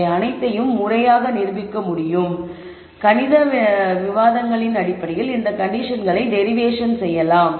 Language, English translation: Tamil, However, all of this can be formally proved and you can derive these conditions based on formal mathematical arguments